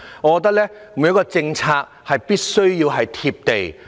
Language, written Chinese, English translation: Cantonese, 我覺得每項政策必須"貼地"。, I think that each and every Government policy should be down - to - earth